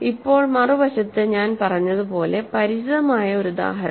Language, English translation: Malayalam, So, now on the other hand so, this as I said, a familiar example